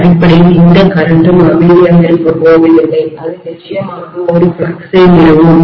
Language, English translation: Tamil, Essentially this current is also not going to keep quite it will definitely establish a flux